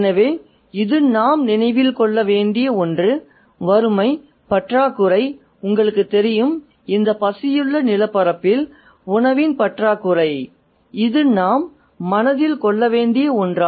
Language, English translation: Tamil, We have the literal context of poverty, scarcity, you know, a dirt of food on this famished hungry landscape, that's something we need to keep in mind